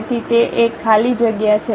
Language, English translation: Gujarati, So, it is a blank one